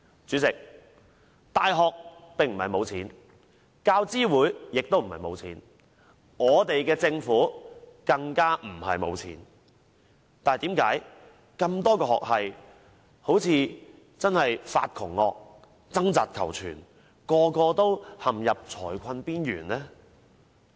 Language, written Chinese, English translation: Cantonese, 主席，大學不是沒有金錢，教資會亦並不是沒有金錢，我們的政府更不是沒有金錢，但為何多個學系好像"發窮惡"般，要掙扎求存，人人也陷入財困邊緣呢？, Chairman universities are not running out of money; UGC is not running out of money either; and the Government is of course not running out of money . But then why have so many university faculties acted like being plagued by poverty and had to fight for survival? . Why do they all seem to have run into financial difficulties?